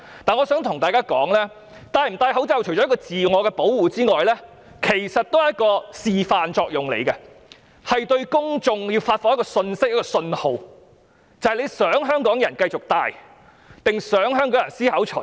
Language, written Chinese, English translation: Cantonese, 但我想指出，戴口罩不單是自我保護，其實亦有示範作用，是向公眾發放一個信息或信號，就是你想香港人繼續戴口罩，還是思考除下？, But I would like to point out that wearing a mask is not only for self - protection but in fact also has a demonstration effect in the sense that it sends a message or signal to the public about your wish that Hong Kong people contemplate whether they should continue to wear masks or take them off